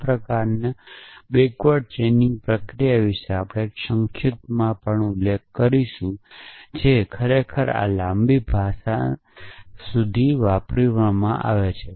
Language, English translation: Gujarati, We will also briefly mention as to this kind of backward chaining process is what really this language prolonged does